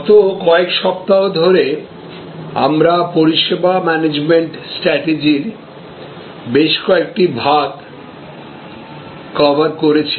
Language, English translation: Bengali, In the over the last few weeks, we have covered several elements of service management strategies